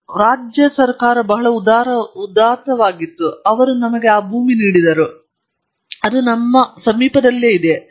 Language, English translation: Kannada, And the state government was very generous, they gave us that land; it is adjoining us